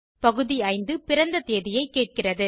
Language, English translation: Tamil, The item 5 section asks for date of birth